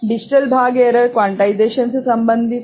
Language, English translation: Hindi, And digital part error is related to quantization